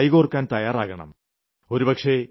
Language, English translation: Malayalam, We should hold hands with them